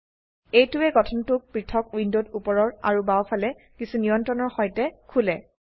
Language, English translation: Assamese, This opens the structure in a separate window with some controls on the top and on the left